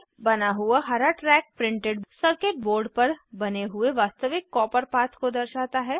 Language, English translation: Hindi, The green track created represents actual copper path created on the printed circuit board